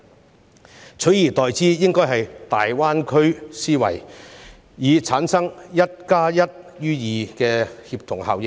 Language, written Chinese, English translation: Cantonese, 政府應採用大灣區思維，以產生"一加一大於二"的協同效應。, The Government should adopt a GBA mentality so as to produce synergy of one plus one is greater than two